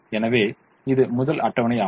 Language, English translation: Tamil, so this is the first table